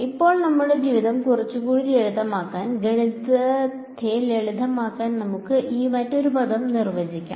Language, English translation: Malayalam, Now, to make our life a little bit more simpler, let us define yet another term over here just to simplify the math